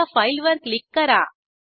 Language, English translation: Marathi, Now click on File